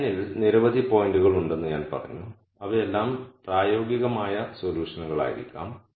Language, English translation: Malayalam, I said there are many points on this line which could all be feasible solutions